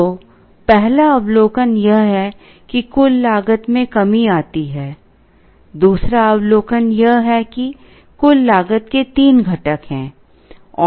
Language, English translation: Hindi, So, the first observation is that the total cost comes down; second observation is that, there are three components to the total cost